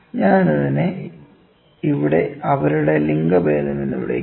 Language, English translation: Malayalam, So, I call it their sex here